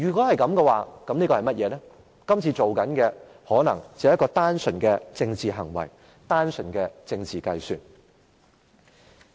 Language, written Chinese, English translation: Cantonese, 就是說今次做的可能只是一個單純的政治行為，單純的政治計算。, It means that the action done this time around may be purely a political act and a political calculation